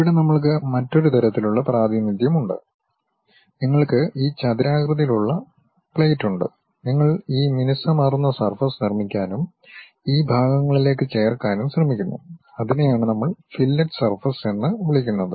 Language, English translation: Malayalam, Here we have another kind of representation, you have this rectangular plate rectangular plate you try to construct this smooth surface and try to add to these portions, that is what we call fillet surface